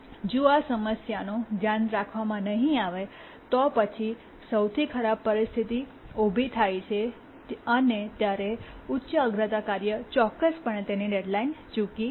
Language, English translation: Gujarati, If the problem is not taken care, then in the worst case, when the worst case situation arises, definitely the high priority task would miss its deadline